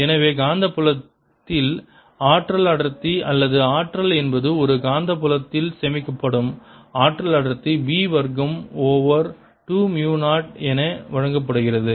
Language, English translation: Tamil, so in the magnetic field the energy density or energy stored in a magnetic field is such that the energy density is given as b square over two mu zero